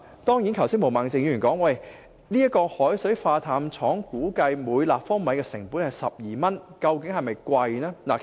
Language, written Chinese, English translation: Cantonese, 當然，毛孟靜議員剛才提到，海水化淡廠生產每立方米淡水的成本估計是12元，這究竟是否昂貴呢？, Indeed as recently mentioned by Ms Claudia MO the estimated desalination cost of the plant is 12 per cubic metre . Is it expensive?